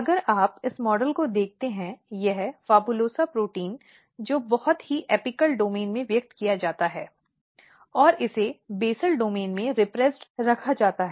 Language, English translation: Hindi, See if you look this model, this PHABULOSA protein which is very which is highly expressed in the apical domain, and it is kept repressed in the basal domain